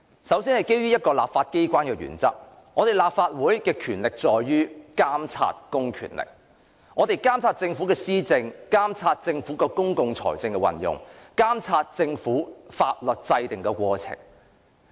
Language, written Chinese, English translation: Cantonese, 首先，基於立法機關的原則，立法會的職權在於監察公權力的運用，監察政府的施政、公共財政的運用及法律制訂的過程。, First of all according to the principles of the legislature the terms of reference of the Legislative Council include monitoring the use of public power administration by the Government the use of public finance and the process of enactment of laws